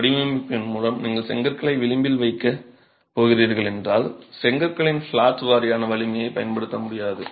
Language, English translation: Tamil, However, a word of caution, if by design you are going to be placing the bricks on edge, you can't use the flatwise strength of bricks